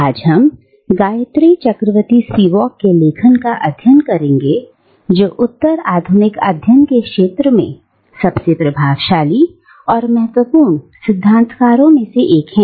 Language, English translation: Hindi, Today we are going to take up the writings of Gayatri Chakravorty Spivak who is one of the most influential critical voices, theorists, in the field of postcolonial studies